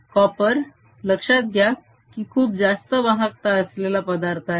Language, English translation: Marathi, copper, remember, is a very high conductivity ah material